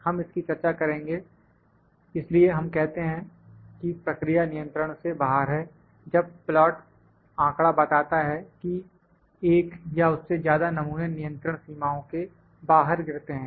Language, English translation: Hindi, We will discuss this so, we say that the process is out of control, when the plot data reveals that one or more samples falls outside the control limits